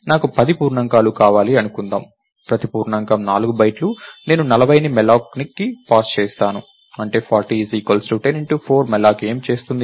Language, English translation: Telugu, Lets say I want 10 integers right, each integers is of 4 bytes, I will pass 40 which is 10 times 4 to malloc